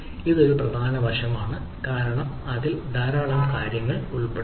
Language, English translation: Malayalam, so this is a important aspects of a because it involves lot of aspects